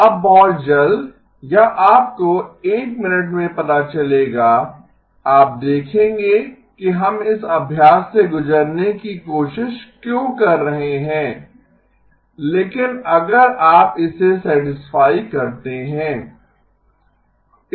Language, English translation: Hindi, Now very soon or you know in a minute you will see why we are trying to go through this exercise but if you do satisfy this